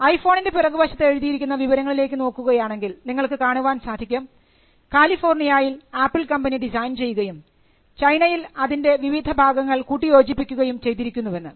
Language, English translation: Malayalam, Now, if you look at the writing at the back of the iPhone, you will find that the phrase designed by Apple in California and assembled in China is almost common for all Apple products and more particularly for iPhones